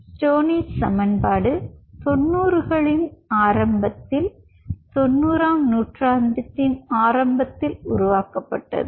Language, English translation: Tamil, stoneys equation was developed long time back summer, early nineties, ninetieth century